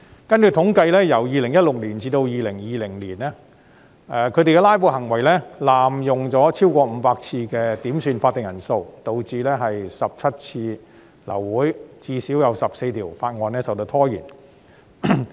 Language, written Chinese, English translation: Cantonese, 根據統計，由2016年至2020年，他們的"拉布"行為濫用超過500次的點算法定人數程序，導致17次流會，最少14項法案受到拖延。, They even resorted to throwing rotten eggs . How ridiculous . According to statistics from 2016 to 2020 their filibustering tactics included abusing the procedure by calling quorum counts for over 500 times causing the abortion of 17 meetings with at least 14 bills being delayed